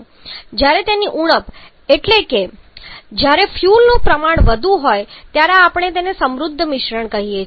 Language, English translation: Gujarati, Whereas when the it is deficient of here that is amount of will is more then we call it a rich mixture